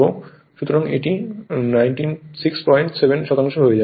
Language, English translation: Bengali, So, it will become 96